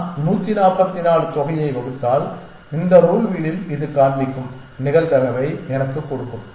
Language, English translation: Tamil, And if I 144 divided by the sum would give me the probability of this one showing up in this rule wheel the rule wheel has change now